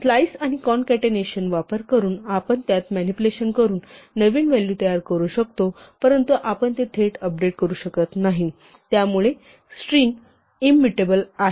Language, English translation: Marathi, We can create a new value by manipulating it using slices and concatenation, but we cannot directly update it, because strings are immutable